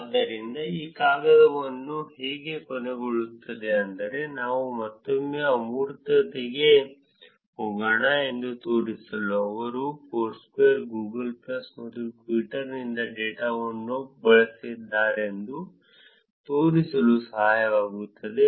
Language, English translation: Kannada, So, that is how this paper ends, which is to show that let us go to the abstract again, which is to show that they used they used data from Foursquare, Google plus and Twitter